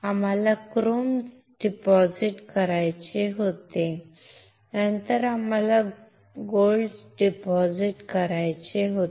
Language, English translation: Marathi, We had to deposit chrome and then we had to deposit gold